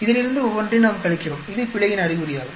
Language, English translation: Tamil, We subtract each one of this from this, this is an indication of the error